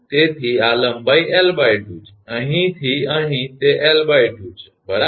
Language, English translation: Gujarati, So, this length is l by 2 from here to here it is l by 2 right